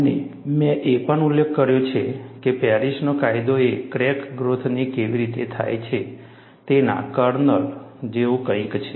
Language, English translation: Gujarati, And I also mentioned, Paris law is something like a kernel, of how the crack growth takes place